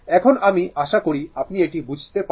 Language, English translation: Bengali, I hope this is understandable to you